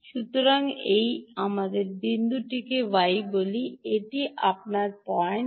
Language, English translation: Bengali, ok, so this, let us say, is point y